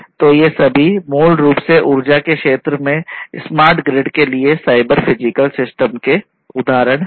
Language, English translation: Hindi, So, all of these are basically examples of cyber physical systems in the energy sector for smart grid